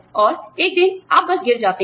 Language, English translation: Hindi, And, one day, you just crash